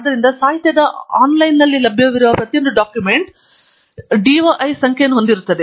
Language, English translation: Kannada, So, every document that is available online in the literature open literature will have a DOI number